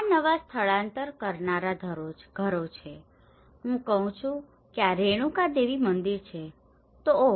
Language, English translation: Gujarati, This is newly relocation houses, I say this is Renuka Devi temple then oh